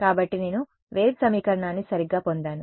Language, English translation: Telugu, So, I get a wave equation right